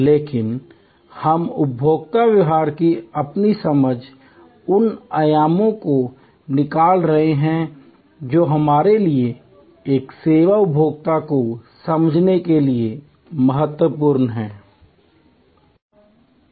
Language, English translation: Hindi, But, we are extracting from our understanding of consumer behavior, those dimensions which are important for us to understand a services consumer